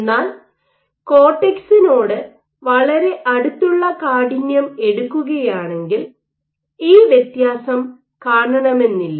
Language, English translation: Malayalam, So, if you probe the stiffness which is very close to the cortex, you may not see this difference